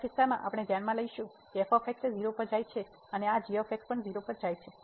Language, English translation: Gujarati, In the 2nd case we will consider that goes to 0 and this goes to 0